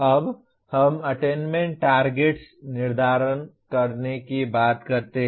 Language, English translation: Hindi, Now we talk about setting the attainment targets